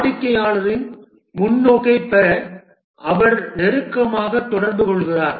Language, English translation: Tamil, He liaises closely with the customer to get their perspective